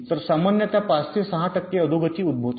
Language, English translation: Marathi, so typically five, six percent degradation this occurs